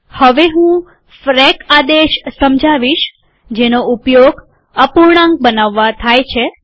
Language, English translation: Gujarati, Next we would like to explain the frac command, that is used to create fractions